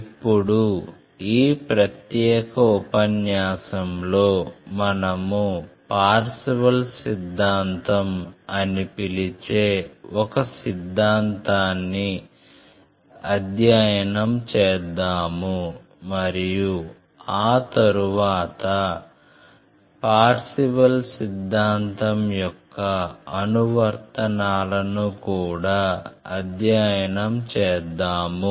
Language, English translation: Telugu, Now in this particular lecture, we will study a theorem which we call as Parseval’s Theorem and after that, we will show it that how what are the applications of Parseval’s Theorem